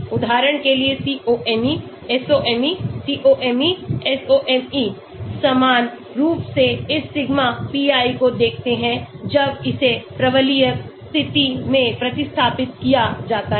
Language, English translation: Hindi, For example, COMe, SOMe, COMe SOMe are similar look at this sigma p when it is substituted in the parabolic position